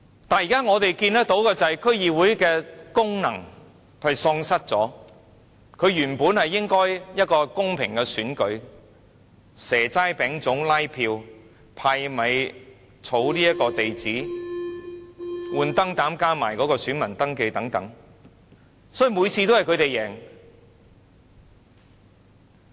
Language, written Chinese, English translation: Cantonese, 然而，我們現時看到的是區議會已經喪失功能，這原本應該是一個公平的選舉，但卻以"蛇齋餅粽"拉票、派米、收集地址、更換燈泡，加上登記選民資料等，所以每次都是他們贏。, However now we have seen that the DCs have failed in all of the functions . This is supposedly a fair election but they canvassed votes by offering seasonal delicacies and by distributing rice collecting addresses changing light bulbs and registering the particulars of voters . This is why they could win in every election